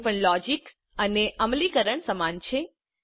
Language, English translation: Gujarati, Here also the logic and implementation are same